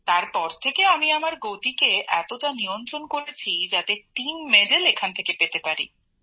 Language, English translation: Bengali, After that, I controlled my speed so much since somehow I had to win the team medal, at least from here